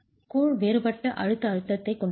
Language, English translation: Tamil, The grout will have a different compressive stress